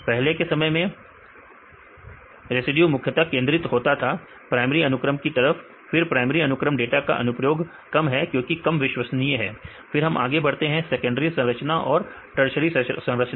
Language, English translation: Hindi, The earlier days the residues mainly focused on primary sequence right after that the applications of the primary sequence data was less because this the reliability become less, then move to secondary structures and tertiary structures